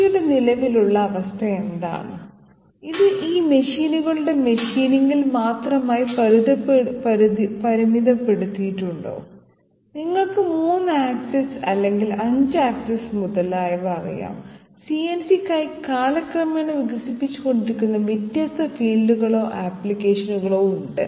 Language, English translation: Malayalam, What is the current status of CNC, is it restricted to all these machines machining and you know 3 axis or 5 axis maybe, etc, there are different fields or applications developing overtime for CNC